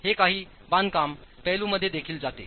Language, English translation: Marathi, It also goes into some construction aspects